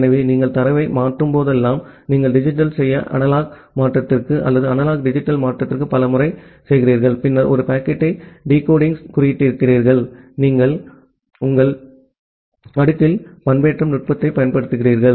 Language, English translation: Tamil, So, whenever you are transferring the data because many of the time you are doing a digital to analog conversion or analog to digital conversion, then encoding decoding a packet, you are applying the modulation technique at the physical layer